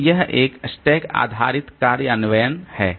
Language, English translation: Hindi, So, that is the stack based implementation